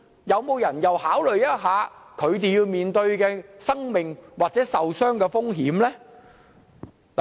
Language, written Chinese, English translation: Cantonese, 有人考慮他們面對的生命危險或受傷風險嗎？, Has anyone take into consideration the life - threatening dangers or risks of casualties they have to face?